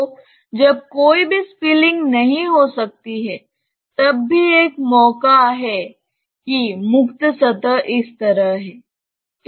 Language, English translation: Hindi, So, when there cannot be any spilling, there is even a chance that the free surface is like this